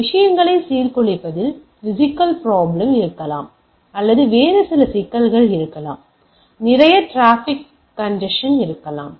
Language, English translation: Tamil, There may be physical problem of disrupting the things or there can be some other problem of say lot of traffic increases congestion etcetera